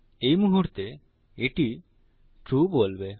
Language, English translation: Bengali, At the moment, this will say true